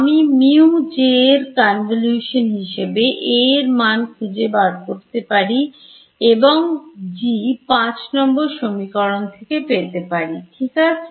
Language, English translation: Bengali, I can find out A as the convolution of mu J and G from this equation over here equation 5 right